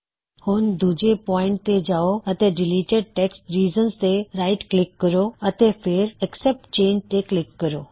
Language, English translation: Punjabi, Go to point 2 and right click on the deleted text reasons and say Accept Change